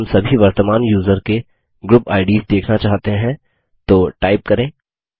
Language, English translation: Hindi, If we want to view all the current users group IDs, type id space G and press Enter